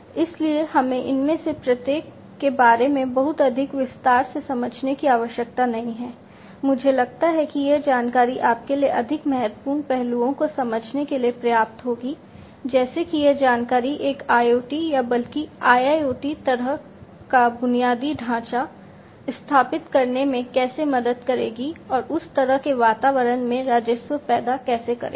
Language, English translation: Hindi, So, we do not need to really understand about each of these in too much of detail, I think this much of information will be sufficient for you to understand the more important aspects, like you know how these information would help in in setting up an IoT or rather an IIoT kind of infrastructure, and generating revenues in that kind of environment